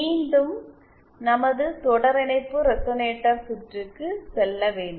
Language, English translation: Tamil, Once again if we do our series resonator circuit